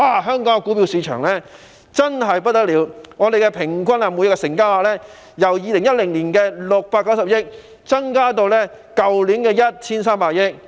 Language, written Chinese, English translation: Cantonese, 香港的股票市場表現真是非常理想，平均每日成交額由2010年的690億元增至去年 1,300 億元。, The performance of the Hong Kong stock market is highly satisfactory . The average daily turnover has increased from 69 billion in 2010 to 130 billion last year